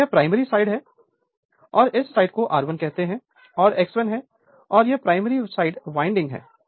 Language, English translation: Hindi, And this is your primary side say and this side you have your what you call R 1 say and you have X 1 right and this is your primary side winding